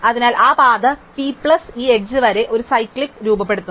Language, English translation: Malayalam, So, therefore, that path p plus this edge forms a cyclic